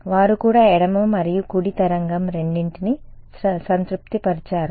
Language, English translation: Telugu, Do they also satisfied both left and right wave